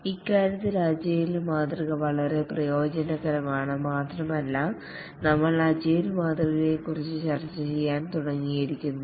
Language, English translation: Malayalam, And in that respect, the agile model is very advantageous and we had just started discussing about the agile model